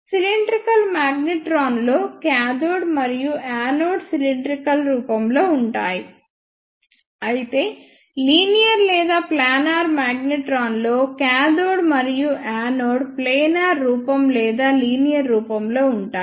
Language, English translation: Telugu, In cylindrical magnetron the cathode and the anode are of cylindrical form; whereas, in linear or planar magnetron, the cathode and anode are of planar form or linear form